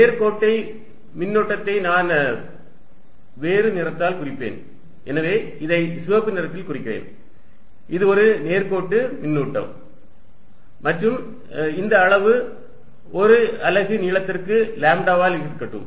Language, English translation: Tamil, The line charge I will denote by different color, so let me write denote it by red, this is a line charge and let this magnitude be lambda per unit length